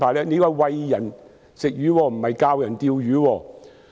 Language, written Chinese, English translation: Cantonese, 這是"餵人吃魚"而不是"教人釣魚"。, This is feeding people with fish rather than teaching them how to fish